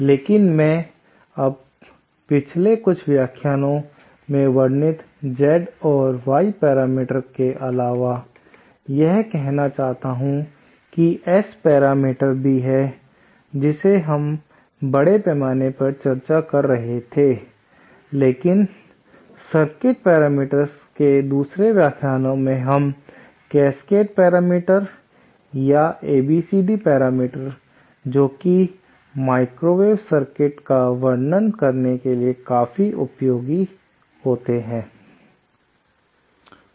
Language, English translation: Hindi, But I would like to now, in addition to the Z and Y parameter that I described in the past few lectures, I also said that there are S parameters that is what we had been discussing extensively but another class of circuit parameters called Cascade parameters or ABCD parameters are also quite useful while describing microwave circuits